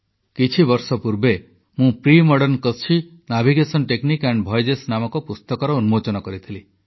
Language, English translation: Odia, A few years ago, I had unveiled a book called "Premodern Kutchi Navigation Techniques and Voyages'